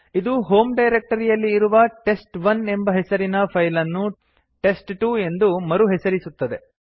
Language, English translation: Kannada, This will rename the file named test1 which was already present in the home directory to a file named test2